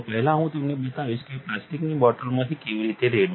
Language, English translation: Gujarati, First, I will show you how to pour from a plastic bottle